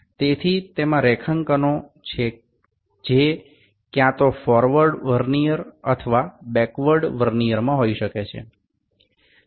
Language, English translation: Gujarati, So, it has grade, graduations which can be either in forward Vernier or backward Vernier